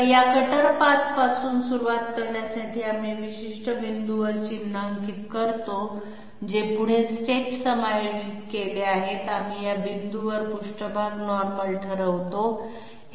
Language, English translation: Marathi, So this cutter path to start with, we mark at particular points which are forward steps adjusted, we determine the surface normals at these points